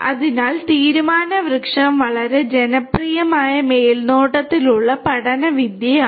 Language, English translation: Malayalam, So, decision tree is also a very popular supervised learning technique